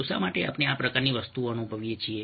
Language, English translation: Gujarati, so why is it that we experience this kind of a thing